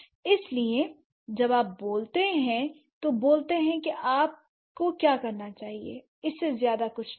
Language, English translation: Hindi, So, that is why when you speak, you speak what you must, nothing more than that